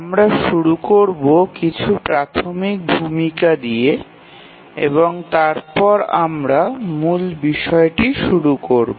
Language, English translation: Bengali, Today we will start with some basic introduction and then we will build on this topic